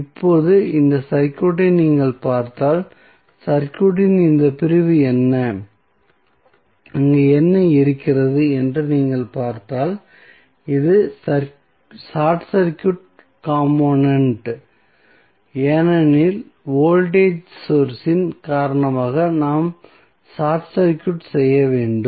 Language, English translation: Tamil, Now, if you see this circuit, this segment of the circuit what, what is there you will see this is the short circuit compartment because of the voltage source we short circuited